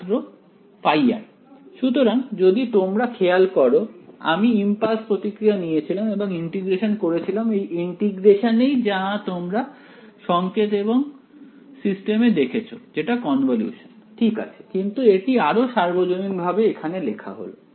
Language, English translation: Bengali, So, you notice I took the impulse response and I did this integration right this integration is actually what you have seen in signals and systems to be convolution ok, but this is the more general way of writing it